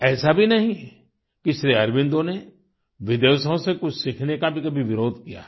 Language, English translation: Hindi, It is not that Sri Aurobindo ever opposed learning anything from abroad